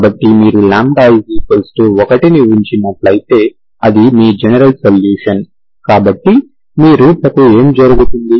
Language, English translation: Telugu, So if you put lambda equal to1, that is your general solution, so what happens to your roots